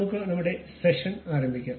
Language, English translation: Malayalam, Let us begin our session